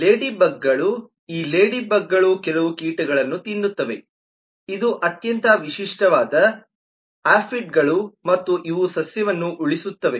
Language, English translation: Kannada, ladybugs: these are ladybugs eat certain pests this is the most typical one aphids and save the plant